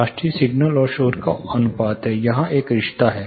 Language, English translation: Hindi, RASTI is signal to noise ratio apparent there is a relation here